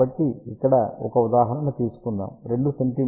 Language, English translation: Telugu, So, let us take a few examples